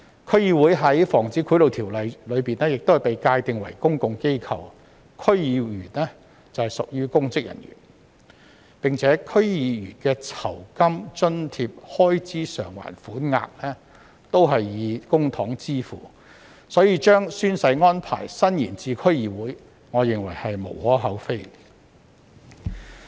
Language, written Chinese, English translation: Cantonese, 區議會在《防止賄賂條例》下被界定為公共機構，區議員則屬公職人員，而且區議員的酬金、津貼和開支償還款額均以公帑支付，所以我認為將宣誓安排伸延至區議會實在無可厚非。, DCs are defined as public bodies and members of DCs as public servants under the Prevention of Bribery Ordinance . Moreover the remunerations allowances and expenses reimbursements of DC members are all charged to public funds . I therefore believe extending the oath - taking arrangement to DCs is beyond reproach